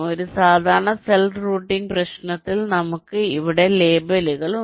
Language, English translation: Malayalam, so, just to recall, in a standard cell routing problem we have label